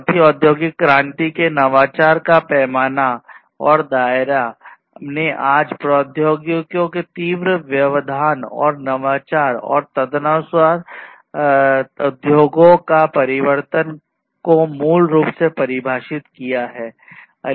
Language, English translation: Hindi, So, the scale and scope of innovation of fourth industrial revolution has basically defined today’s acute disruption and innovation in technologies and the transformation of industries accordingly